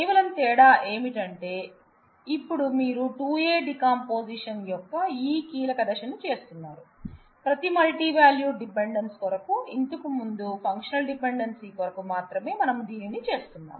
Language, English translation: Telugu, Only difference being that, now you may be doing this crucial step of 2A decomposition, for every multivalued dependency also earlier we were doing this only for the functional dependency